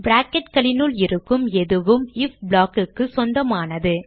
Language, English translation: Tamil, Whatever is inside the brackets belongs to the if block